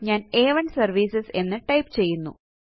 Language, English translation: Malayalam, I will type A1 services